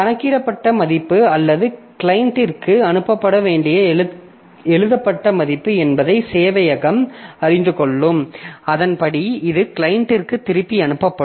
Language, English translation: Tamil, So, server will know where is the reserve, the calculated, the calculated value or the return value that has to be passed to the client and accordingly it will send it back to the client